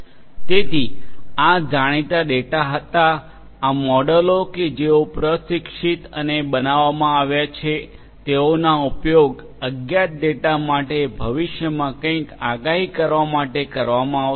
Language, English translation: Gujarati, So, these were known data these models that have been trained and created will be used to predict something in the future for unknown data